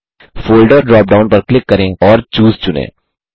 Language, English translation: Hindi, Click on the Folder drop down and select Choose